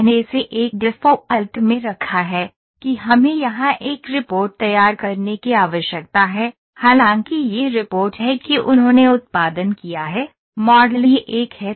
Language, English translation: Hindi, I have put it in a default that we need to produce a report here; though this is the report that they have produced, the model is this one